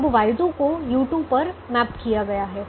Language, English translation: Hindi, now y two is mapped to u two